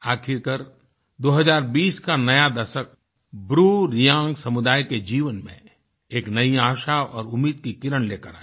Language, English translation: Hindi, Finally the new decade of 2020, has brought a new ray of hope in the life of the BruReang community